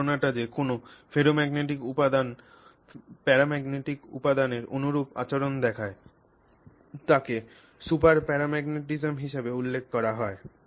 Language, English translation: Bengali, This idea that a ferromagnetic material shows you behavior that is similar to a paramagnetic material is referred to as super paramagneticism